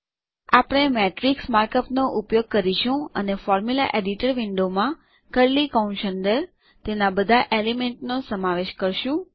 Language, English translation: Gujarati, We will use the markup Matrix and include all its elements within curly brackets in the Formula Editor window